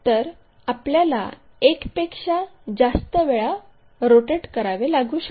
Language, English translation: Marathi, First of all, we may have to do multiple rotations